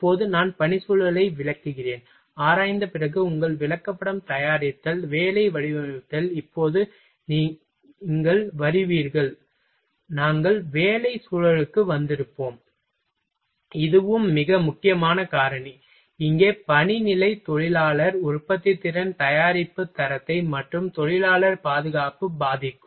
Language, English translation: Tamil, Now, I will explain the work environment, after examining, after making your chart preparation, job designing, now you will come we will have come to work environment this is also a very important factor, here working condition can affect worker productivity product quality and worker safety